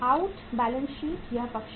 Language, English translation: Hindi, Out balance sheet is this side